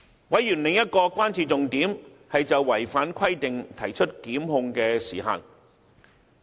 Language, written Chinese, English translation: Cantonese, 委員的另一個關注重點，是就違反規定提出檢控的時限。, Another key concern of Members is the time limit for instituting prosecutions against violation of relevant requirements